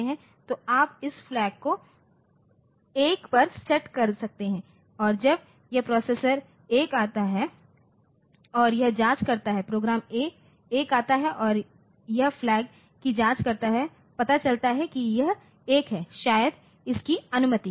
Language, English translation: Hindi, So, you can set this flag to 1 and when this processor 1 comes, so, it check process 1 comes the program 1 comes so, it checks the flag, finds that it is 1, 1 maybe it is allowed